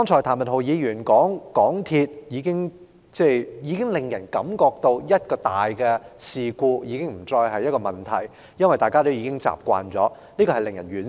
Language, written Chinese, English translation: Cantonese, 譚文豪議員剛才提到，香港鐵路有限公司已經予人一個印象，就是重大事故已不再是一個問題，因為大家已經習以為常，這實在令人惋惜。, Mr Jeremy TAM mentioned just now that the MTR Corporation Limited MTRCL has given people the impression that the occurrence of major incidents is no longer an issue as the public has grown used to it already . This is really regrettable